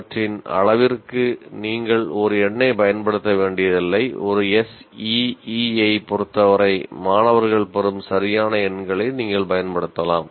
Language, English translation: Tamil, So to that extent you don't have to use one number with regard to a CE, you can use exact numbers that are obtained by the students